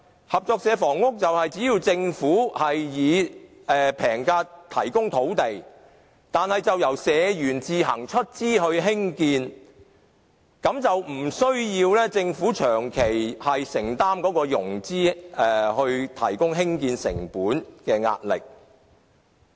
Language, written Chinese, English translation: Cantonese, 合作社房屋是由政府以平價提供土地，再由社員自行出資興建，無須政府長期承擔融資、提供興建成本的壓力。, It was built by members of the cooperative society with their own funds on land provided by the Government at a concessionary price . The Government does not need to bear the financial burden of funding the construction on a long - term basis